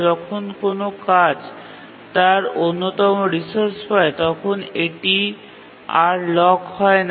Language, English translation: Bengali, When a task gets one of its resource, it is not blocked any further